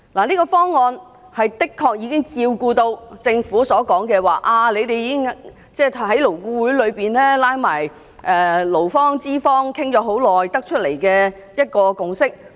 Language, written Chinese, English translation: Cantonese, 這個方案已經照顧到政府所說，他們在勞顧會裏跟勞方和資方討論很久才得出的一個共識。, This proposal actually takes into account the consensus reached at LAB after prolonged discussion by representatives of employers and employees as claimed by the Government